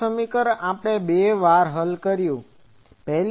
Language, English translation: Gujarati, This equation we have solved, twice